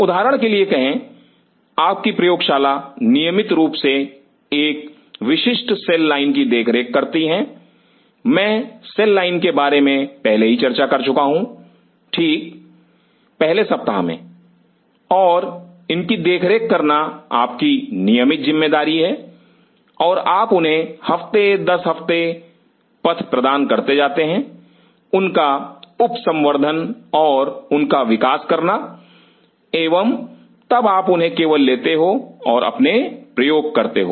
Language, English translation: Hindi, say for example, your lab regularly maintains a particular cell line I have already talked about cell line right at the first week and you just your job on these to maintain the cell line and you just passage them every week after week, subculture them and grow them in and then you just take them and do your experiment